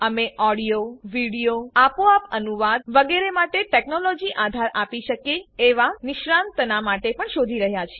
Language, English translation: Gujarati, We are also looking for experts who can give technology support for audio, video, automatic translation, etc